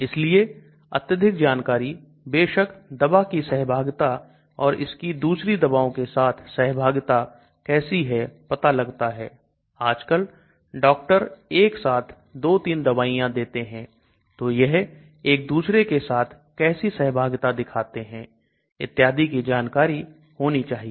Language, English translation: Hindi, So lot of information of course details about drug interaction how it is interacting with other drugs because now a days doctors may prescribe 2, 3 drugs so how do they interact with other drugs and so on